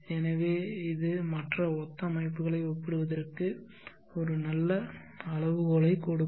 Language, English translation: Tamil, So this would give a nice benchmark for comparing other similar systems